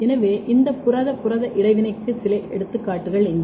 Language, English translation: Tamil, So, here are a few cases of few examples of this protein protein interaction